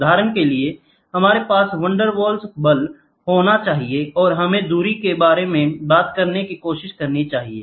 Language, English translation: Hindi, For example, we must have the Van der Waals force and try to talk about the distance